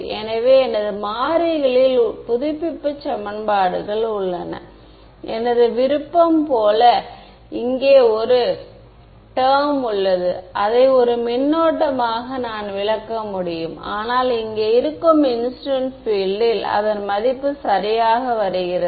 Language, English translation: Tamil, So, I have my update equations in the variables of my choice plus one term over here which I can interpret as a current, but it is coming exactly as the value of incident field over here